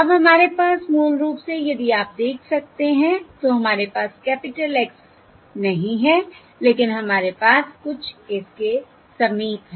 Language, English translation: Hindi, basically, if you can see, we do not have the capital Xs, but we have something close